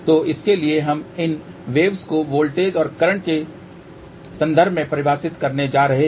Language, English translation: Hindi, So, for that we are going to define these waves in terms of voltages and currents